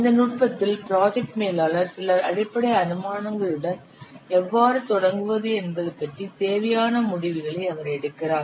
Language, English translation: Tamil, In this technique, the project manager he derives the required results how starting with some basic assumptions